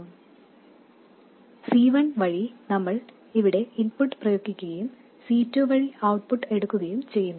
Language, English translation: Malayalam, And we apply the input here through C1 and take the output through C2